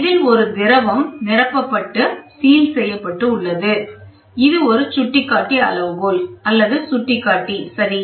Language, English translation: Tamil, This is a sealed sealing fluid, this is a pointer scale or a pointer scale and pointer, ok